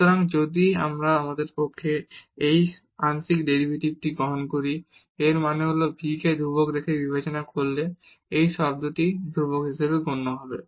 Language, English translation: Bengali, So, if we take that partial derivative with respect to u; that means, treating v as constant so, this term will be treated as constant